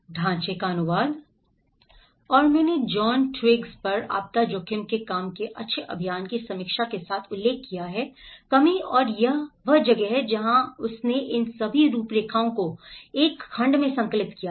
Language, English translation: Hindi, And I have referred with the good practice reviews work on John Twigs work of disaster risk reduction and that is where he compiled everything all these frameworks into one segment